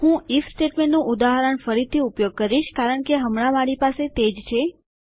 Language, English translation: Gujarati, Ill use an example of an if statement again because thats all I have got at the moment